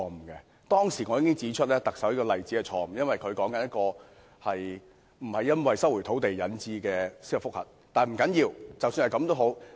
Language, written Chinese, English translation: Cantonese, 我當時已經指出，特首引述的例子是錯誤的，因為她說的不是一宗收回土地而引致的司法覆核。, At that time I pointed out that the example cited by the Chief Executive was wrong as that was not a case of judicial review arising from land resumption